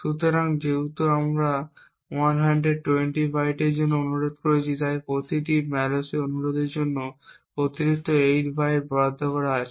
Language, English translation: Bengali, So, since we have requested for 120 bytes and there is an additional 8 bytes allocated for every malloc request, so what we would expect to see is that the size of this chunk is 128 bytes